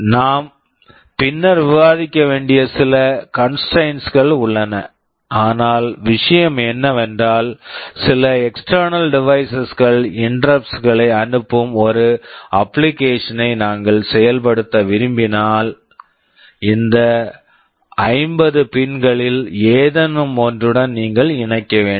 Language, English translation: Tamil, There are some constraints we shall be discussing later, but the thing is that if we want to implement an application where some external devices are sending interrupt, you can connect it to any of these 50 pins